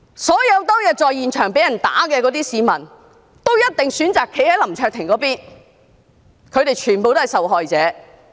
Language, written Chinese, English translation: Cantonese, 所有當天在現場被打的市民，也一定選擇站在林卓廷議員那一方，他們全都是受害者。, All those who were assaulted at the scene would definitely stand on the side of Mr LAM Cheuk - ting . All of them had been victimized